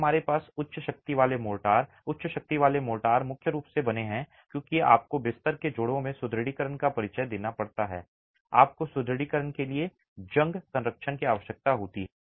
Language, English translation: Hindi, Today we also have high strength motors and high strength motors made primarily because you might have to introduce reinforcement in the bed joints and you need corrosion protection for the reinforcement